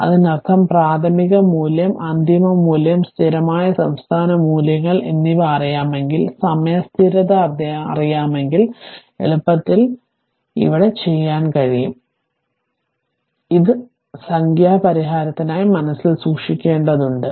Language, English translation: Malayalam, That means if you know, if you know the initial initial value, if you know the final value, the steady state values, and if you know the time constant, easily you can compute v t right, this you have to keep it in your mind for solving numerical